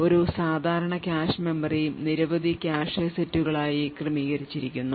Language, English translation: Malayalam, So, a typical cache memory is organized into several cache sets